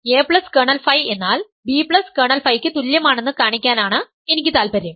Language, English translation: Malayalam, I am interested in showing that a plus kernel phi is equal to b plus kernel phi